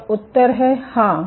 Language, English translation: Hindi, And the answer is; yes